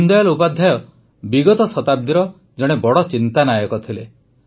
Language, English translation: Odia, Deen Dayal ji is one of the greatest thinkers of the last century